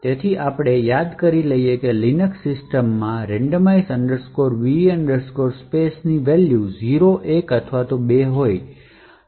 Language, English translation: Gujarati, So, we recollect that, in the Linux systems the randomize va space would take 3 values 0, 1 or 2